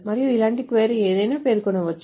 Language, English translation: Telugu, And a query something like this can be specified